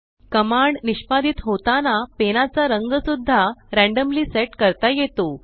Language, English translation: Marathi, The color of the pen is also set randomly when the command is executed